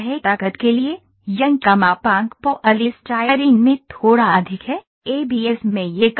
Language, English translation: Hindi, The Young’s modulus for the strength is a little higher in polystyrene; in an ABS it is lesser